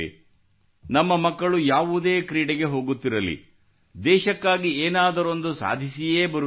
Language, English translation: Kannada, In every game, wherever our children are going, they return after accomplishing something or the other for the country